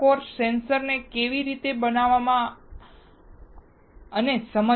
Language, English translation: Gujarati, This course is not on understanding how to fabricate sensors